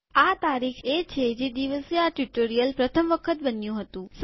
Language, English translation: Gujarati, This is the date on which this tutorial was created the first time